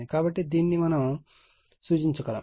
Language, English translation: Telugu, So, this we also can represent